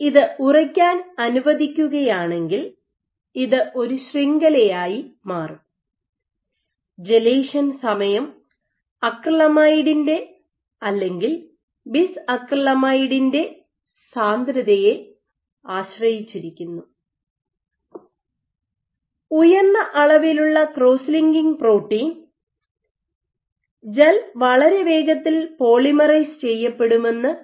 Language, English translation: Malayalam, So, if you let it sit this will form a network so the gelation time is dependent the concentration of acrylamide, so higher concentration of acrylamide will typically help our higher concentration of acrylamide or bis acrylamide